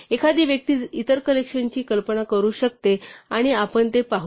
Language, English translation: Marathi, One can imagine the other collections and we will see them as we go along